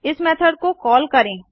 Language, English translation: Hindi, let us call this method